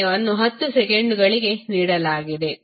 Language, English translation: Kannada, Time is given as 10 seconds